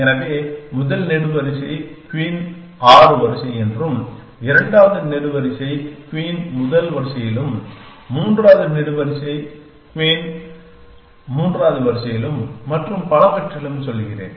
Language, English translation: Tamil, So, I am saying the first column queen is a 6 row, the second column queen is in the first row the third column queen is in a third row and so on and so forth